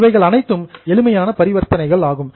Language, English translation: Tamil, These were just the simple transactions